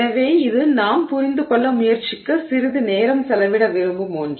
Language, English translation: Tamil, So, that is something that we want to spend some time trying to understand